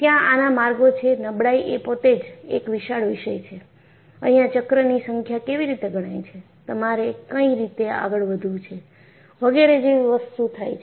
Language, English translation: Gujarati, And, there are ways, fatigue itself is a vast subject, there are ways how to count the number of cycles and what you have to go about, so on and so forth